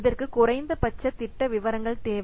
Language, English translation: Tamil, It requires minimal project details